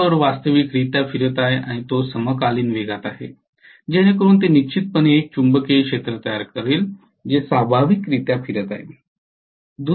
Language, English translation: Marathi, The rotor is revolving physically and that is at synchronous speed, so that is definitely going to create a magnetic field which is revolving in nature